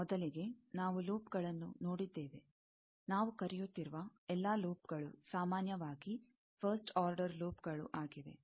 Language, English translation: Kannada, First, we have seen loops; all loops we are calling, in general, first order loops